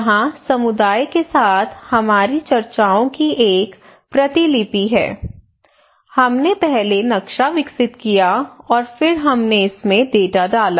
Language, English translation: Hindi, Here is a transcript of our discussions with the community we develop the map first and then we put the data into it